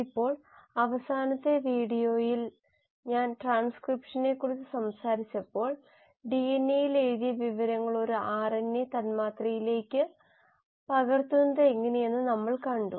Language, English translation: Malayalam, Now in the last video when I was talking about transcription we saw how the information which was written in DNA was copied onto an RNA molecule